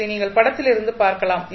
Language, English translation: Tamil, So, this you can see from the figure